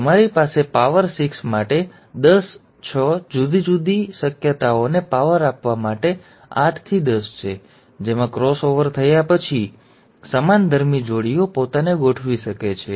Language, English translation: Gujarati, You have ten to the power six, eight into ten to power six different possibilities in which after the cross over has taken place, the homologous pairs can arrange themselves